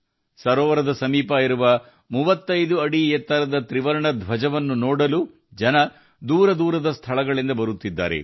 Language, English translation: Kannada, People are also coming from far and wide to see the 35 feet high tricolor near the lake